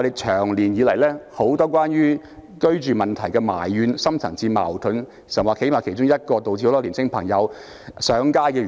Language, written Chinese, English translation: Cantonese, 長久以來關乎居住問題的怨氣和深層次矛盾，其實是其中一個導致很多青年人上街的原因。, The long - standing grievances and deep - rooted conflicts surrounding the housing issue is actually one of the reasons for young people taking to the street in large numbers